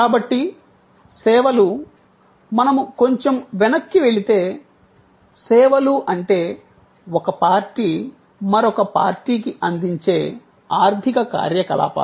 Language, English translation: Telugu, So, services are if we go back a little bit, so services are economic activities offered by one party to another